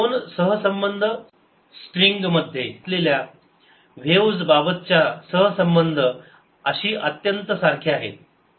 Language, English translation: Marathi, this two relationships are very similar to the relationship obtain for waves on a string